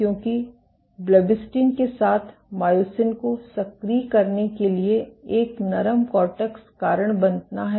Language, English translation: Hindi, Why is blebbistatin with inhibits myosin to activity lead to a softer cortex